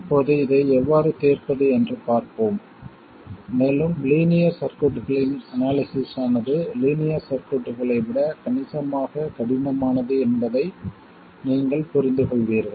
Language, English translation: Tamil, Now we will see how to solve this and you will understand that the analysis of nonlinear circuits is considerably harder than linear circuits